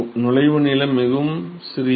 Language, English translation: Tamil, So, the entry length is very very small